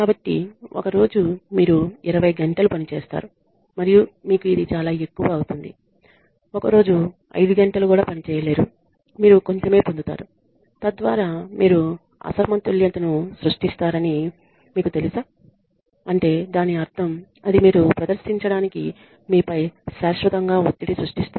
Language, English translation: Telugu, So, one day you work for 20 hours and you get this much and on the other day you do not be able to work for 5 hours and you get a little bit and so that could you know create an imbalance on I mean it creates perpetual stress on you to perform